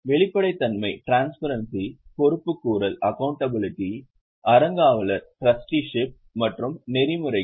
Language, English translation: Tamil, Transparency, accountability, trusteeship and ethics